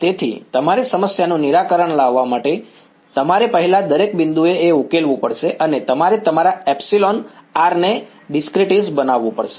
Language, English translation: Gujarati, So, in order to solve your problem, you have to first solve a at every point you have to go and discretize your epsilon r